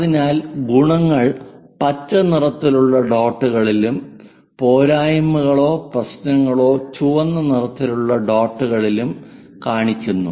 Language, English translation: Malayalam, So, the advantages are shown in green colour dots, the disadvantages or problems are shown in red colour dots